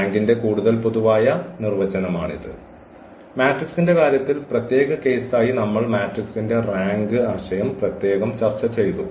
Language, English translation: Malayalam, So, this is a more general definition of the rank which the in case of the matrix that is the special case and we have separately discussed the rank concept of the matrix